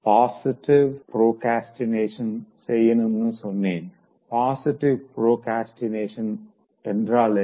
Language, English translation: Tamil, I said, procrastinate positively, so what is this positive procrastination